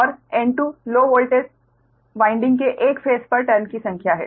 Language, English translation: Hindi, and n, two is number of turns on one phase of low voltage winding